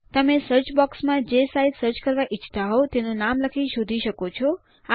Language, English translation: Gujarati, You can type in the name of the site that you want to search for in the search box